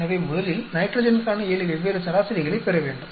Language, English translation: Tamil, So, we will get 7 different nitrogen averages